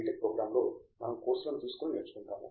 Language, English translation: Telugu, Tech and so on we take courses we learn